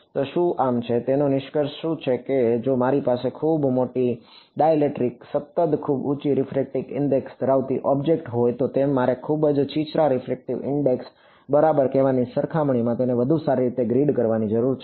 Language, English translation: Gujarati, So, what are the so, what is the sort of conclusion of this is that, if I have an object with a very large dielectric constant very high refractive index I need to grid it finer compared to let us say a very shallow refractive index ok